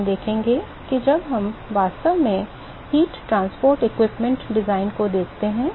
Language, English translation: Hindi, So, we will see that when we actually look at the heat transport equipment design